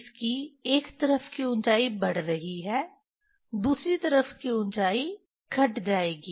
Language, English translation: Hindi, Its height of this one side is increasing, height of the other side will decrease